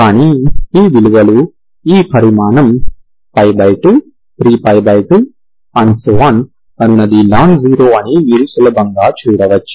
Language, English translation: Telugu, But these values you can easily see that this quantity is nonzero